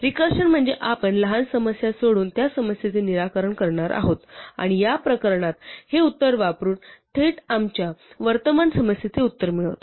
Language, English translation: Marathi, Recursion means, that we are going to solve this problem by solving the smaller problem and using that answer in this case directly to report the answer for our current problem